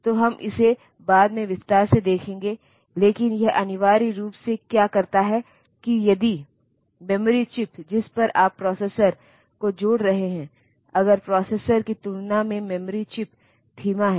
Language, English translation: Hindi, So, we will see it in detail later, but what it essentially does is that if the memory chip onto with which you are connecting the processor, if that memory chip is slow compared to the processor